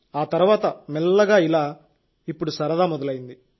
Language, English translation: Telugu, Then slowly, now it is starting to be fun